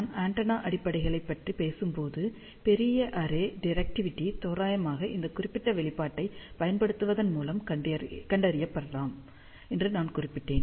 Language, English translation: Tamil, When I talked about the antenna fundamentals, I had mentioned that for larger array directivity can be approximately found by using this particular expression